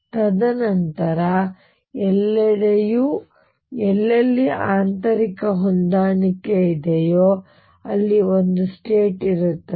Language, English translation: Kannada, And then everywhere else wherever there is an interior matching there is going to be one state